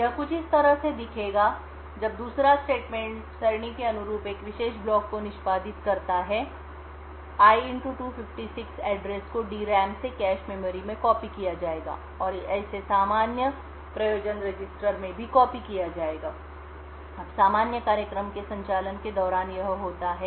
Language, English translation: Hindi, So it would look something like this, when the second statement gets executed a particular block corresponding to array[i * 256] would be copied from the DRAM into the cache memory and also be copied into the corresponding general purpose register, now this is what happens during the normal operation of the program